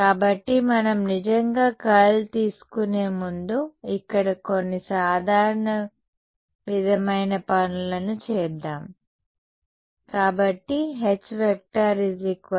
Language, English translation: Telugu, So, let us before we actually take the curl is do some simple sort of things over here